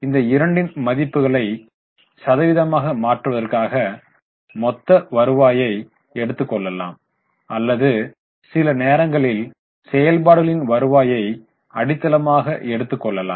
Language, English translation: Tamil, For converting into percentage, we will take the base as the total revenue or sometimes we take base as revenue from operations